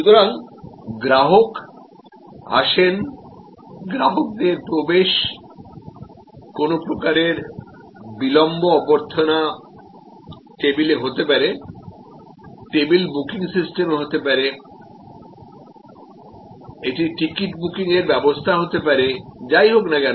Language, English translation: Bengali, So, customer comes in, customers entry, there is some kind of delay, so this can be the reception, this can be the table booking system, this can be the ticket booking system, whatever